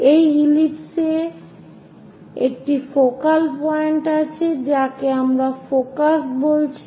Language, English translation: Bengali, In this ellipse, there is a focal point which we are calling focus